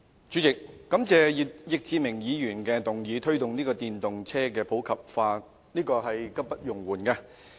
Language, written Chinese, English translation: Cantonese, 主席，我感謝易志明議員提出"推動電動車普及化"的議案，這是刻不容緩的。, President I thank Mr Frankie YICK for moving the motion on Promoting the popularization of electric vehicles as it is a highly urgent matter